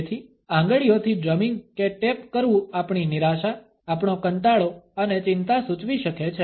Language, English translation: Gujarati, So, drumming or tapping the fingers can indicate our frustration, our boredom and anxiety